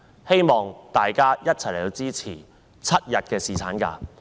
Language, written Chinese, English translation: Cantonese, 希望大家一起支持7日侍產假。, I urge Members to support a seven - day paternity leave